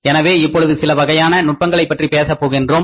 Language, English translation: Tamil, So, now we will be talking about some other techniques